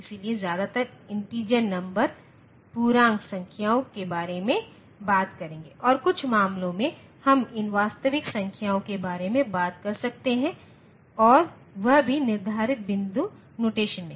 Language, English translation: Hindi, So, will be talking mostly about integer numbers and some cases we may talk about these real numbers and that also in the fixed point notation